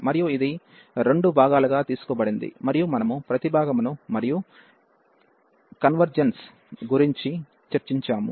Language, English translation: Telugu, And this was taken into two parts, and we have discussed each separately for the convergence